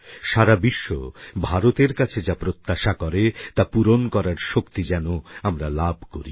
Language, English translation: Bengali, And may India surely achieve the capabilities to fulfil the expectations that the world has from India